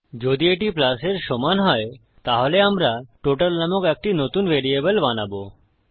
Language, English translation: Bengali, If it equals to a plus then we will create a new variable called total